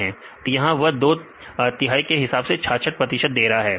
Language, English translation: Hindi, So, here they mention 66 because two third; this is why they put 66